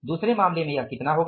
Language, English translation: Hindi, In the second case it will be how much